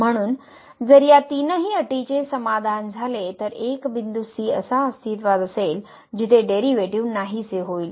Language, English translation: Marathi, So, if these three conditions are satisfied then there will exist a point where the derivative will vanish